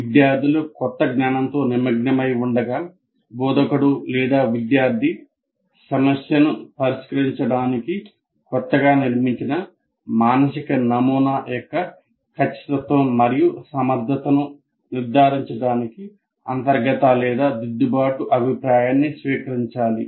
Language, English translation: Telugu, And while the students are getting engaged with the new knowledge, the instructor or the student should receive either intrinsic or corrective feedback to ensure correctness and adequacy of their newly constructed mental model for solving the problem